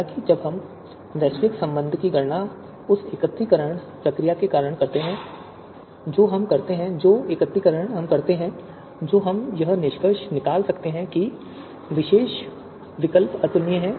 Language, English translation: Hindi, However, when we compute the global relation because of the aggregation procedure that we perform, the aggregation that we do, we might you know conclude that a you know particular alternatives, they are incomparable